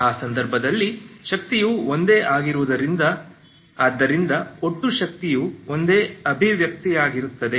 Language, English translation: Kannada, In that case the energy is same so energy total energy is the same expression